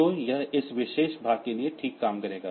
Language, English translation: Hindi, So, this will work fine for this particular port